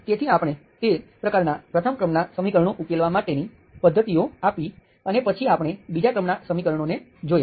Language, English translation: Gujarati, So we have given methods to solve those kinds, those types of first order equations and then we looked at the second order equations